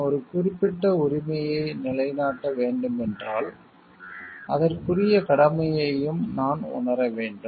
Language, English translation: Tamil, If I need to establish a particular right then I need to realize my corresponding part of duty also